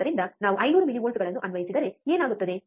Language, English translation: Kannada, So, what happens if we apply 500 millivolts